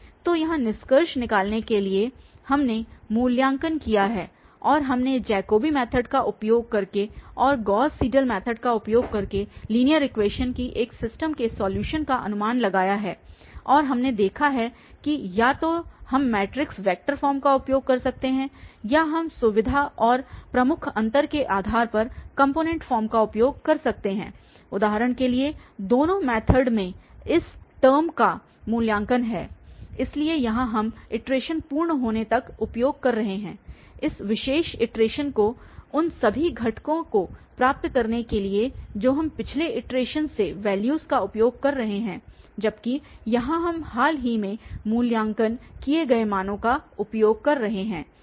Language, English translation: Hindi, So, here just to conclude we have a evaluated or we have approximated the solution of a system of linear equation using the Jacobi method and also using the Gauss Seidel method and we have seen that either we can use the matrix vector form or we can use the component form depending on the convenience and the major difference in both the methods is the evaluation of this term for instance so here we are using until the iteration is complete that particular iteration to get all the components we are using the values from the previous iteration whereas here we are using the recently evaluated values